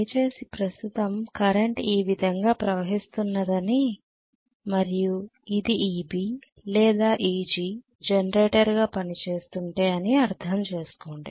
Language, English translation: Telugu, Please understand that now the current is flowing this way and this is EB or EG if it is working as a generator